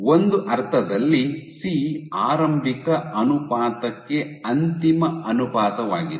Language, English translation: Kannada, So, in a sense C is nothing but the final ratio to the initial ration